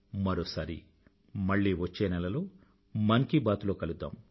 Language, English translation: Telugu, We shall meet once again in another episode of 'Mann Ki Baat' next month